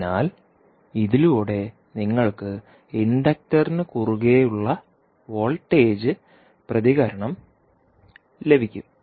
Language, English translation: Malayalam, So, this with this you will get the voltage response across the inductor